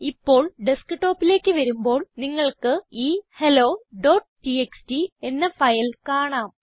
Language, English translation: Malayalam, Now come to the Desktop and you can see the file hello.txt here